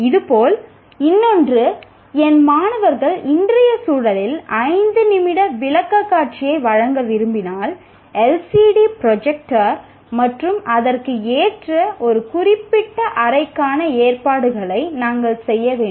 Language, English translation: Tamil, Similarly, another one, if I want my students to make a five minute presentation, in today's context you have to make arrangements for a LCD projector and a particular room that is appropriate for it and so on